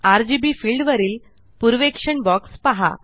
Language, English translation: Marathi, Look at the preview box above the RGB field